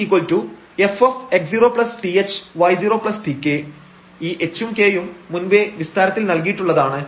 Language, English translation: Malayalam, So, this was h here and this was k here